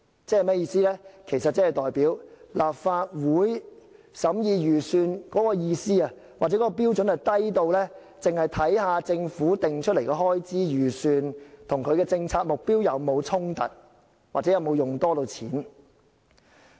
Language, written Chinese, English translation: Cantonese, 這代表立法會審議預算案的標準，低到只看政府訂立的開支預算與政策目標有否衝突，或有否多用錢。, It means that the standard for the Legislative Council to scrutinize the Budget is so low that it only considers whether the estimates of expenditure formulated by the Government clash with its policy objectives or whether extra money is expended